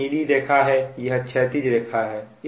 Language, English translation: Hindi, these is the blue line, horizontal line and this one, right